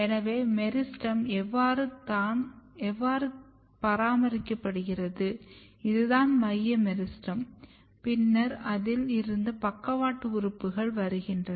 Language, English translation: Tamil, So, this is how the meristem is maintained, this is the central meristem and then you have the lateral organs coming